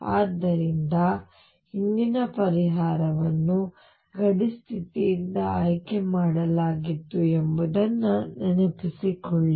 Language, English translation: Kannada, So, recall that earlier the solution was picked by boundary condition